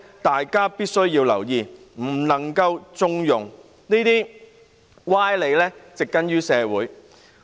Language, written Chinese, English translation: Cantonese, 大家必須留意這種情況，不能縱容這些歪理植根於社會。, We must pay attention to this situation and not condone the entrenchment of such sophistry in society